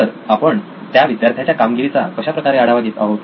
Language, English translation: Marathi, So how do we track the performance of the child